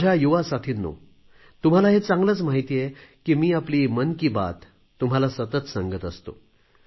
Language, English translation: Marathi, My young friends, you know very well that I regularly do my 'Mann Ki Baat'